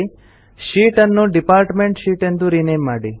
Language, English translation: Kannada, Rename the sheet to Department Sheet